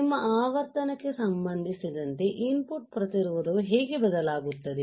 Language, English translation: Kannada, With respect to your frequency how input resistance is going to change right